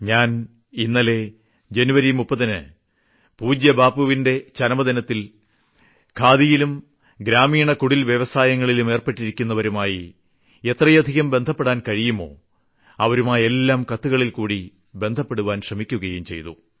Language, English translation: Malayalam, Yesterday on 30th January during the occasion of death anniversary of respectful Bapu, I made an attempt to reach out to as many people associated with khadi and rural industries by writing letters to them